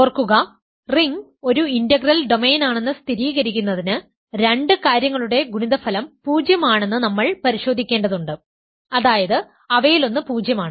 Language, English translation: Malayalam, So, remember in order to verify that ring is an integral domain we have to check that product of two things is zero implies, one of them is zero